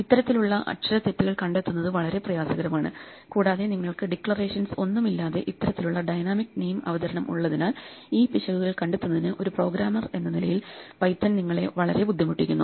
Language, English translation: Malayalam, These kind of typos can be very very hard to find, and because you have this kind of dynamic name introduction with no declarations, Python makes it very difficult for you as a programmer to spot these errors